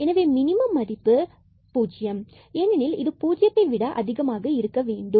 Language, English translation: Tamil, So, the minimum value will be a 0, because it has to be greater than equal to 0